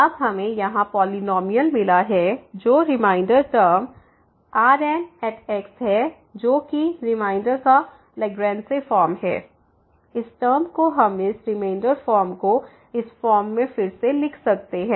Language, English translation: Hindi, Well now, we got the polynomial here which is the remainder term the which is the Lagrange form of the remainder, this term we can also rewrite this remainder form in this form